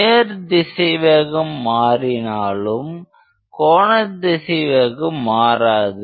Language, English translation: Tamil, So, of course linear velocity is varying, but angular velocity is the same